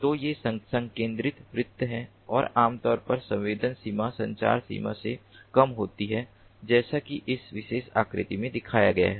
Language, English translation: Hindi, so these are concentric circles and typically the sensing range is lower than, is lesser than, the communication range, as shown in this particular figure